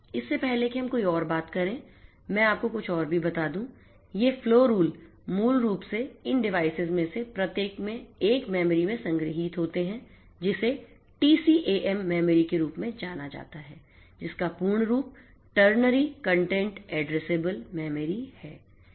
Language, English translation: Hindi, Before we talk any further I should also tell you something else, these flow rules are basically stored in a memory in each of these devices which is known as the TCAM memory the full form of which is Ternary Content Addressable Memory